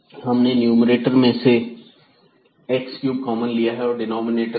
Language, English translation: Hindi, So, x cube we have taken common in the numerator and x here from the denominator